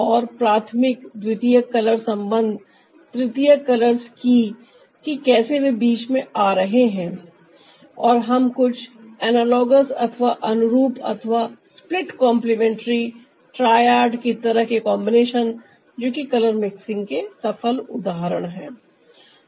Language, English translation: Hindi, and also ah, the primary, secondary color relationship, the tertiary colors, how they are coming in between and giving us some analogous or split, complementary, triad kind of combinations that are like successful examples of ah color mixing